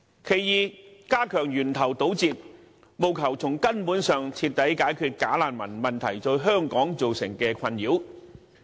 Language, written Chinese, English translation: Cantonese, 第二，加強源頭堵截，務求從根本上徹底解決"假難民"問題對香港造成的困擾。, Second strengthening interception at source to comprehensively relieve the nuisance caused by bogus refugees at the core